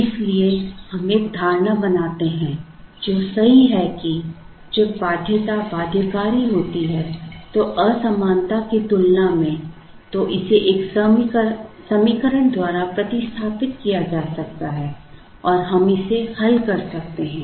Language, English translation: Hindi, Therefore, we make an assumption which is correct that, when the constraint is binding than the inequality can be replaced by an equation and we can solve it